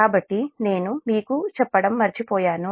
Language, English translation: Telugu, so this i missed it, i forgot to tell you